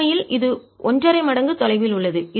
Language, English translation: Tamil, in fact it's one and a half times farther